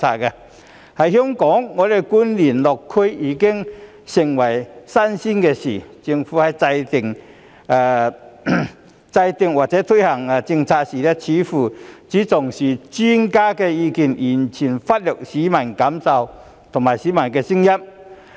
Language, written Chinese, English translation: Cantonese, 在香港，官員落區已經成為新鮮事，政府在制訂或推行政策的時候，似乎只重視專家的意見，完全忽略市民的感受和聲音。, In Hong Kong district visits by government officials have become a rarity . In formulating or introducing policies it seems that the Government has only attached importance to expert opinions while completely neglecting peoples feelings and voices